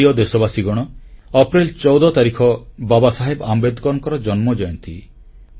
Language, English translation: Odia, My dear countrymen, April 14 is the birth anniversary of Dr